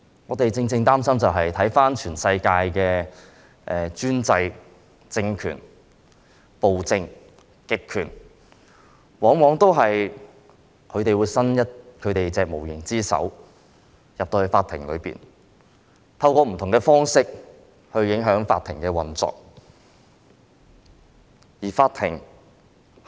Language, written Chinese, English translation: Cantonese, 我們所以會擔心，是因為看到全世界的專制政權、暴政、極權往往向法庭伸出無形之手，透過不同方式影響法庭的運作。, We are worried because we can see that the autocratic despotic authoritarian regimes around the world always extend their invisible hands to the Court to influence its operation through different ways